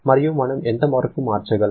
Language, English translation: Telugu, And how much can we convert